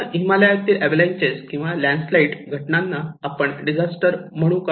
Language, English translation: Marathi, If we have avalanches, landslides in Himalayas, do we consider these events as disasters